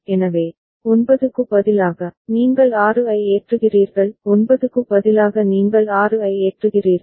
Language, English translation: Tamil, So, instead of 9, you are loading 6 you are; instead of 9 you are loading 6